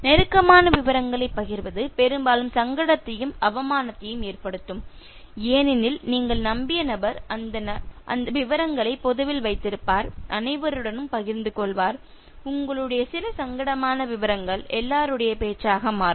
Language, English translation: Tamil, Sharing intimate details can often cause embarrassment and humiliation because the person whom you trusted will keep those details will make it public, will share it with everyone; and everyone, some embarrassing detail of yours can become the talk of the town